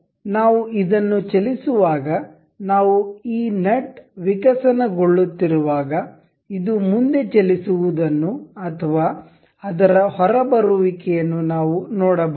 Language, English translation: Kannada, So, as we move this we as we evolve this nut we can see this moving forward or opening it outward